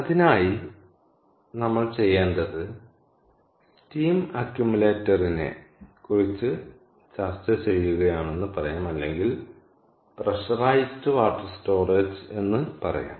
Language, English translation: Malayalam, so for that, what we will do is, let us say we are discussing steam accumulator, or, lets say, pressurize water storage, will, lets, pressurized water storage